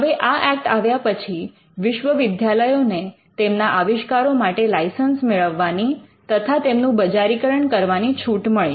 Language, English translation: Gujarati, Now, this act allowed universities to license their inventions and to commercially development